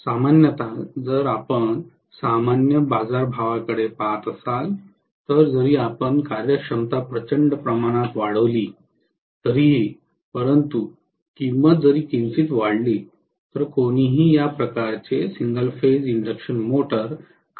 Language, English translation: Marathi, Generally, if you look at the normal market price because even if you increase the efficiency tremendously, but if the price increases even slightly nobody will be willing to buy this kind of single phase induction motor